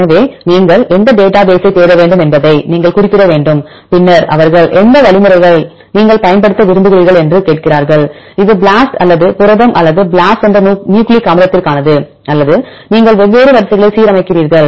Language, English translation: Tamil, So, you have to specify which database you have to search then they ask for which algorithms do you want to use, this is for the protein BLAST or the nucleic acid BLAST or you align different sequences and so on